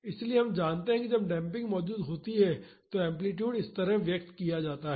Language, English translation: Hindi, So, we know that the amplitude is expressed like this when a damping is present